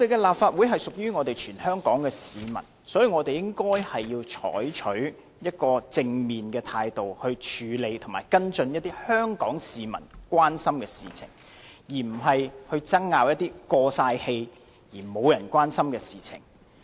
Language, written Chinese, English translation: Cantonese, 立法會是屬於全香港的市民，所以我們應該採取正面的態度來處理和跟進香港市民所關注的事情，而不是爭拗一些"過晒氣"而沒有人關心的事情。, The Legislative Council belongs to the people of Hong Kong and it is incumbent upon us to adopt a positive attitude in handling and following up on matters of concern to the Hong Kong citizens instead of arguing over outdated matters that no one cares